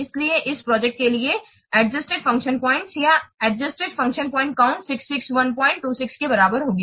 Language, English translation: Hindi, 26 so the total number of adjusted function points or the adjusted function point counts for this project will be equal given as 606